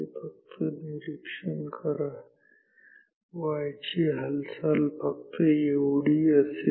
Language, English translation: Marathi, So, this is just observe the y movement, y movement is only this much